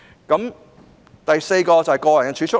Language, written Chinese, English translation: Cantonese, 第四支柱是個人儲蓄。, Pillar Four covers personal savings